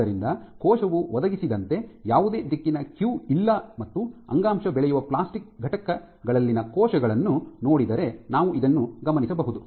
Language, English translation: Kannada, So, there is no directional cue provided by the cell and this is what you would typically envision happen if you look at cells on tissue culture plastic